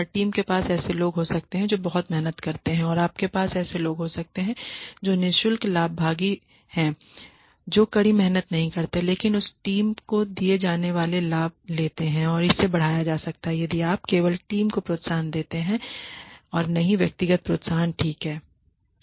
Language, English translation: Hindi, In every team you could have people who work very hard and you could have people who are free riders, who do not work hard, but take the benefits that are given to that team and that could be enhanced if you give only team incentives and not individual incentives ok